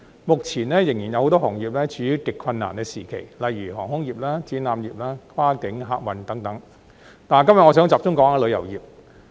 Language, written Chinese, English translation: Cantonese, 目前仍有多個行業處於極困難時期，例如航空業、展覽業、跨境客運業等，但今天我想集中談旅遊業。, Currently a number of industries such as the aviation industry the exhibition industry and the cross - boundary passenger service sector are still in deep waters